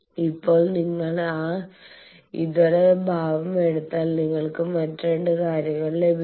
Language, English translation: Malayalam, Now, if you take that alternate part you can get 2 other things